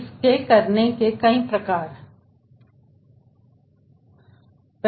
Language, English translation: Hindi, there are different ways of doing it